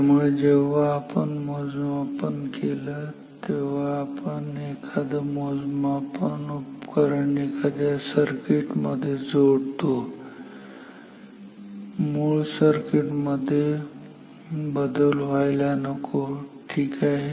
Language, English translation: Marathi, So, whenever we measured, whenever we insert any instrument in any measuring instrument in any circuit the original circuit should not change ok